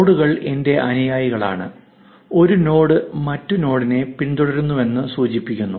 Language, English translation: Malayalam, Nodes are my followees and an edge signifies that the node is following the other node